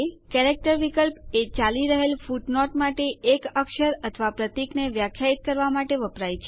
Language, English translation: Gujarati, The Character option is used to define a character or symbol for the current footnote